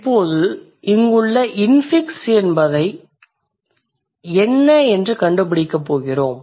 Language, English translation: Tamil, So, now let's see how we are going to figure out what is the infix here